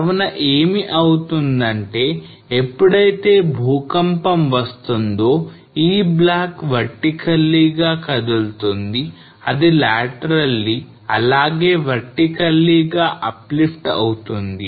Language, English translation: Telugu, So what will happen that when the earthquake will come this block will move as well as vertically that is moved laterally as well as it will uplift vertically